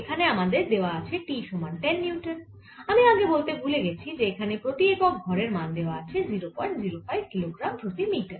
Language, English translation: Bengali, as t is given to be ten newtons, i forgot to mention mass per unit length of this is given to be point zero, five kilograms per meter